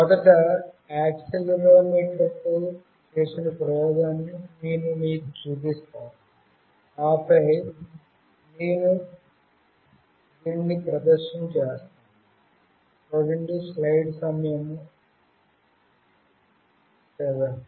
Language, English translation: Telugu, Firstly, I will show you the experiment with accelerometer, and then I will do the demonstration